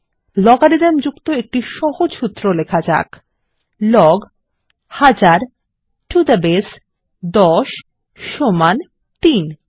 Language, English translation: Bengali, A simple formula using logarithm is Log 1000 to the base 10 is equal to 3